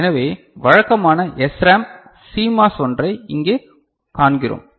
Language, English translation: Tamil, So, here we see one you know typical SRAM CMOS ok